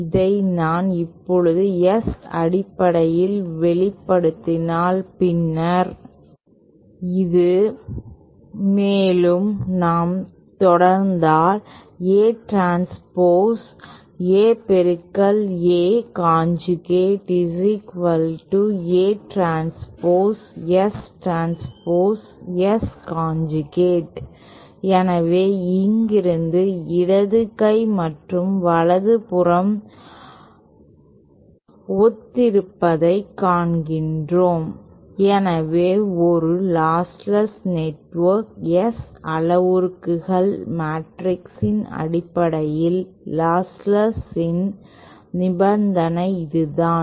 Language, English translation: Tamil, This in turn can be written as, if I now express in terms of the S matrix then this simply becomesÉ Further if we proceed then we get A transpose A multiplied by A conjugate is equal to A transpose S transpose S conjugate so from here we see that the left hand side and right hand side are similar so then for a lostless network the condition of lostlessness in terms of the S parameters matrix is this or we often sometimes write this as S conjugate transpose is equal to S inverse